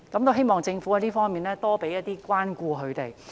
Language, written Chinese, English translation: Cantonese, 我希望政府會多給他們一些關顧。, I hope that the Government will show more care for them